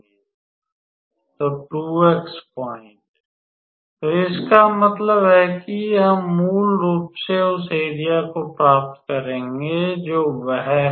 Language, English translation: Hindi, So, 2 x points; so that means, we will get basically area of what is that